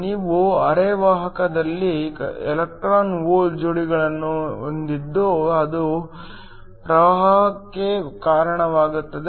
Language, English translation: Kannada, You have electron hole pairs in the semiconductor that lead to current